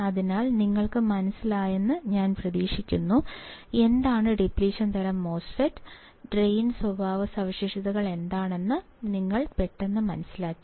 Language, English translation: Malayalam, So, I hope that you guys understood, what is a depletion MOSFET; you understood quickly what are the Drain characteristics